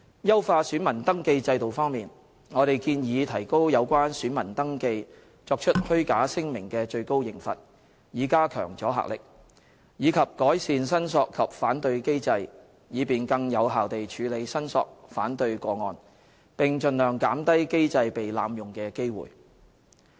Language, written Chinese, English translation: Cantonese, 優化選民登記制度方面，我們建議提高有關選民登記作出虛假聲明的最高刑罰，以加強阻嚇力，以及改善申索及反對機制，以便更有效地處理申索/反對個案，並盡量減低機制被濫用的機會。, As regards enhancing the VR system we propose the maximum penalties for making false statements in VR be increased so as to enhance the deterrent effect; and the claim and objection mechanism be improved so as to enable more effective processing of claimsobjections as well as to minimize the chance of the mechanism being abused